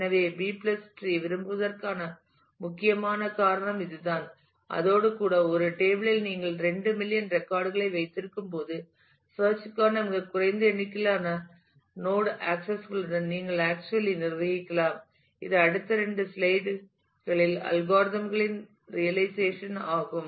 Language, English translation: Tamil, So, this is the core reason that B + trees are preferred and with this if even, when you have couple of million records in a in a table you can actually manage with a very small number of node accesses for the lookup, which makes the realization of algorithms possible in the next couple of slides